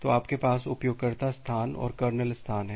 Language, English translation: Hindi, So, you have the user space and the kernel space